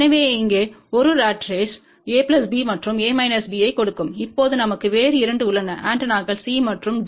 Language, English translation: Tamil, So, one ratrace here will give A plus B and A minus B, now we have 2 other antennas C and D